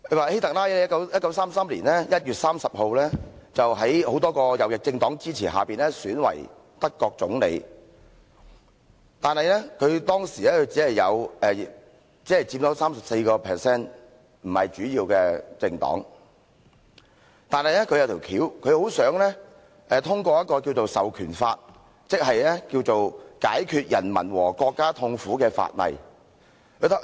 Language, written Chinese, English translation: Cantonese, 希特拉在1933年1月30日在多個右翼政黨支持下選為德國總理，但他當時只有 34% 議席，不是大多數的政黨。但是，他很想通過一項《授權法》，即《解決人民和國家痛苦法例》。, HITLER was returned as Chancellor of Germany on 30 January 1933 with the support of various right - wing political parties . Even though his political party merely occupied 34 % of all seats and was not the majority party he wanted eagerly to enact an Enabling Act or a Law to Remedy the Distress of People and the Country